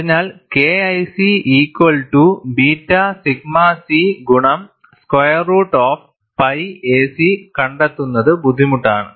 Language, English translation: Malayalam, So, it is difficult to find out K 1 C equal to beta sigma c into square root of pi a c